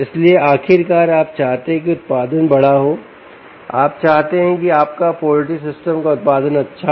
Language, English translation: Hindi, so, ultimately, you want production to be larger, you want to have a good production of your poultry system, ah, uh, uh